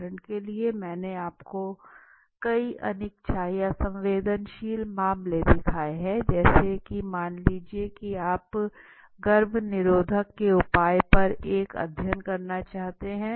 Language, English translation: Hindi, The first is for example I have given you see several cases unwillingness or sensitive cases, now suppose you want to make a study on the use of contraceptives for example